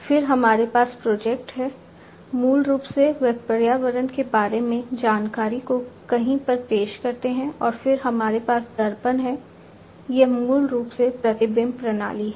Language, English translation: Hindi, Then we have the projectors, these projectors, basically, they project the information about the environment to somewhere and then we have the mirrors this is basically the reflection system